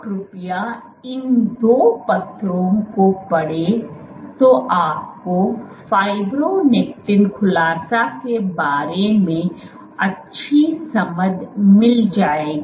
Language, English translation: Hindi, So these please read to these two papers, you will get good understanding about fibronectin unfolding